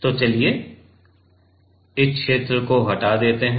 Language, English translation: Hindi, So, let us remove this region ok